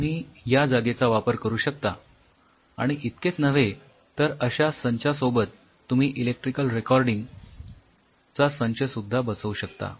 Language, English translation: Marathi, You can use this and not only that there are these kinds of setup added up with electrical recording setups